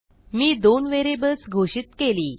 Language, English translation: Marathi, So I have declared two variables